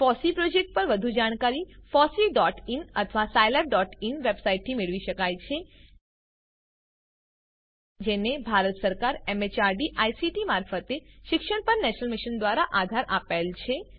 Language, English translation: Gujarati, More information on the FOSSEE project could be obtained from fossee.in or scilab.in website Supported by the National Mission on Eduction through ICT, MHRD, Government of India